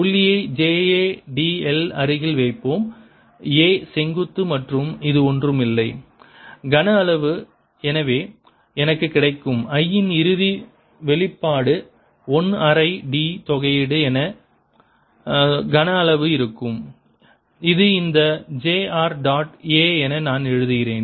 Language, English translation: Tamil, put the dot near j a d l, a perpendicular, and this is nothing but the volume, and therefore the final expression i get is going to be one half integral d volume, which i write as this: j r, dot a